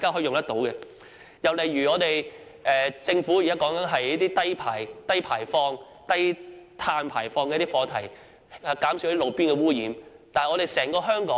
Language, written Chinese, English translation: Cantonese, 另一例子是政府現在提到的低碳排放的課題，希望減少路邊污染。, Another example involves low - carbon emission advocated by the Government nowadays with the hope of reducing roadside pollution